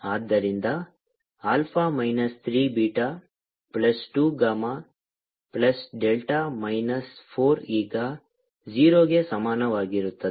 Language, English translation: Kannada, so alpha minus three, beta plus gamma plus delta minus four is equal to zero